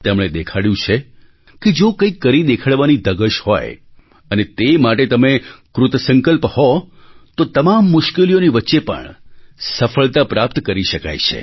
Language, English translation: Gujarati, They have demonstrated that if you have the desire to do something and if you are determined towards that goal then success can be achieved despite all odds